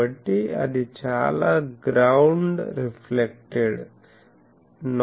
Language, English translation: Telugu, So, lot of ground reflected noise it catch